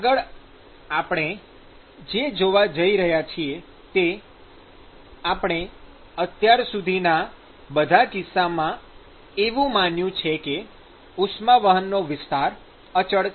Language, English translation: Gujarati, So, next what we are going to see is, we assumed so far in all the cases that we considered, that the area of heat transport is constant